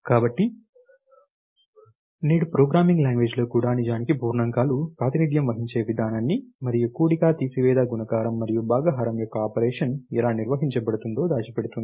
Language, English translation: Telugu, So, what is happening is even a programming language today actually hides the way in which the integers are represented, and how the operation of addition, subtraction, multiplication, and division are performed